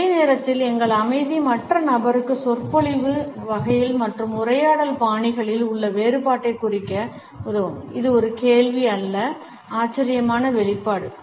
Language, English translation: Tamil, At the same time our silence can help the other person mark the difference in discourse types and conversational styles, whether it is a question or a surprised expression